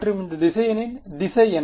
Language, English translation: Tamil, So, what does this vector look like